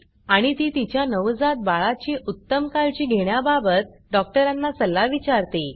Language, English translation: Marathi, And asks for her advice on taking better care of her newborn baby